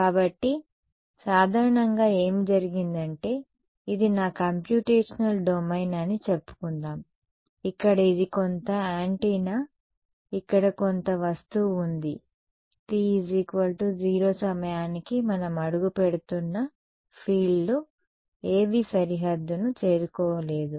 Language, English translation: Telugu, So, typically what has happened is let us say this is my computational domain over here this is some antenna some object over here at time t is equal to 0 none of the fields have reached the boundary right we are stepping in time